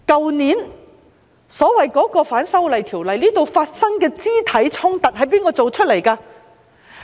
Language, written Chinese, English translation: Cantonese, 去年，所謂反修訂條例引發的肢體衝突，是由誰造成的呢？, Who initiated the physical confrontations arising from the so - called opposition to the proposed legislative amendments last year?